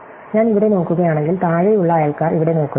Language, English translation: Malayalam, So, if I look at here for example, the bottom neighbors not, if I look here the neighbors not